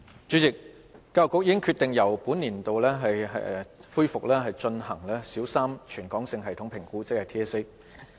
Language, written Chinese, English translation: Cantonese, 主席，教育局已決定由本年起恢復進行小三全港性系統評估。, President the Education Bureau EDB has decided to resume the Primary 3 Territory - wide System Assessment TSA from this year